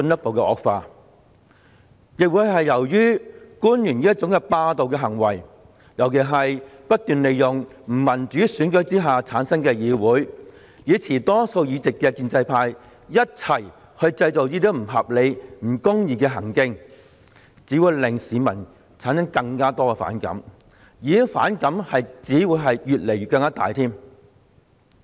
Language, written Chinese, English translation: Cantonese, 同時，官員這種霸道行為，尤其是他們不斷利用不民主選舉之下產生的議會，與持多數議席的建制派一起製造這些不合理和不公義情況的行徑，亦只會令市民產生更多並且越來越大的反感。, Moreover this kind of peremptory behaviours of government officials will only arouse growing resentment among the public especially when they repeatedly use this legislature formed under an undemocratic system to create these unreasonable and unjust situations together with the pro - establishment camp which dominates the Council